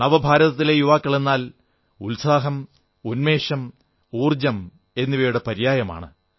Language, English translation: Malayalam, I consider them 'New India Youth', 'New India Youth' stands for aspirations, enthusiasm & energy